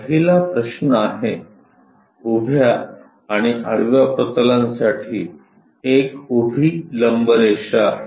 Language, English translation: Marathi, The first question is; a vertical line perpendicular to both vertical plane and horizontal plane